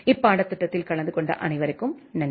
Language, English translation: Tamil, Thank you all for attending the course